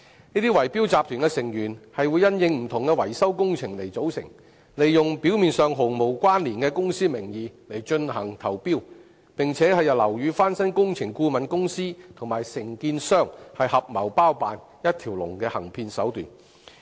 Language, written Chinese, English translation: Cantonese, 這些圍標集團因應不同維修工程而組成，利用表面上毫無關連的公司名義進行投標，並由樓宇翻新工程顧問公司和承建商合謀包辦一條龍的行騙手段。, Formed specifically for different maintenance works these bid - rigging syndicates submit bids in the names of completely unrelated companies and let building renovation consultants and contractors collude to take full charge of the through - train fraud operation